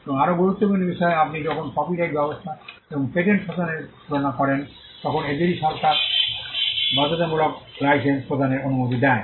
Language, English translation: Bengali, And more importantly when you compare copyright regime and the patent regime, those two regimes allow for the issuance of a compulsory license